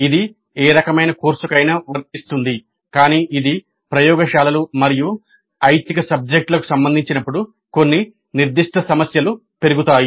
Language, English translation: Telugu, It is applicable to any kind of a course, but when it is concerned with the laboratories and electives certain specific issues crop up